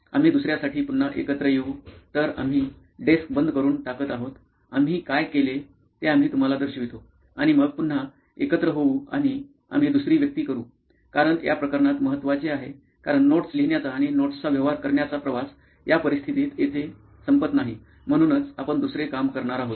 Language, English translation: Marathi, We will assemble again for another; So we are going to clear off the desk we will show you what we have done and then probably assemble again and we will do the second persona; because for this case it matters because the journey of writing notes and the dealing with notes does not end here in this scenario, that is why we are going to do a second one